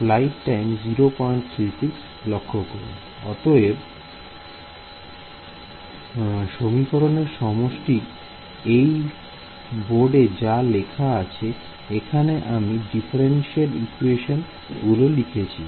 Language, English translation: Bengali, So, the equation setup, now on the board over here I have written very generic differential equation